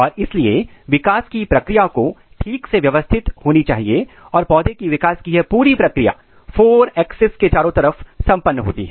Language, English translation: Hindi, And all therefore, the process of development has to be properly organized and this entire process of plant development occurs across the 4 axis